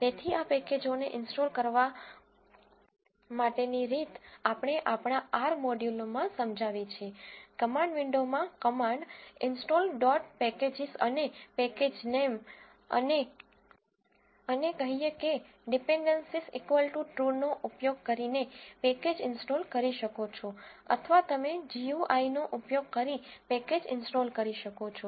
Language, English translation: Gujarati, So, the way to install this packages we have explained in our R modules, you can install the packages through the command window using this command install dot pack ages and the package name and say dependencies equal to true or you can use the GUI to install the packages